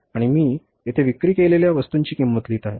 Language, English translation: Marathi, And here I have written the cost of goods sold